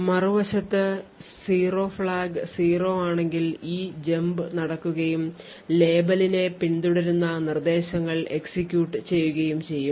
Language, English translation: Malayalam, On the other hand, if the 0 flag has a value of 0 then there is a jump which takes place and the instructions following the label would execute